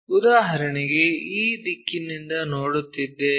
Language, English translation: Kannada, For example, we are looking from this direction